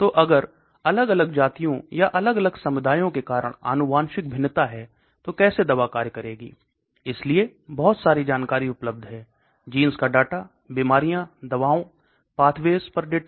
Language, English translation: Hindi, So if there is a genetic variation because of different races or different communities, then how the drug will respond, so there is a lot of information, data on genes, diseases, drugs, pathway